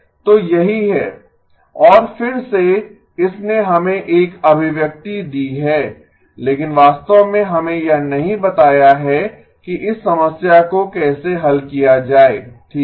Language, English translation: Hindi, So that is what and again it has given us an expression but really has not told us how to solve this problem okay